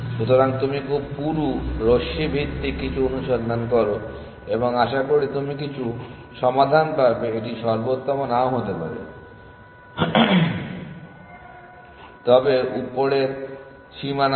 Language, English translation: Bengali, So, you do some beam search with very thick beam based and hopefully you will get some solution it may not be optimal, but it will give upper bound